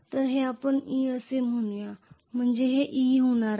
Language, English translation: Marathi, So this is going to be let us say e,right